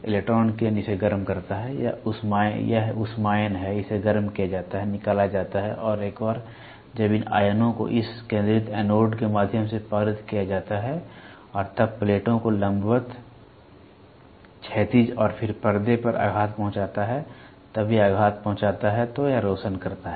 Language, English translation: Hindi, Electron beam passes it heated, it is thermions it is heated ejected and once these ions are to be focused passes through this focusing anodes and then goes through deflecting plates vertical, horizontal and then hits on the screen, then when it hits it illuminates